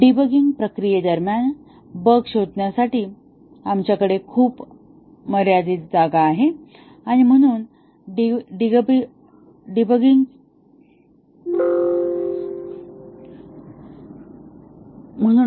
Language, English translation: Marathi, We have very limited place to look for the bug during debugging process and therefore, the debugging is cost effective